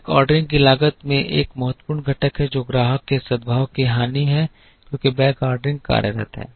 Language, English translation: Hindi, Cost of backordering has an important component, which is the loss of customer goodwill because backordering is employed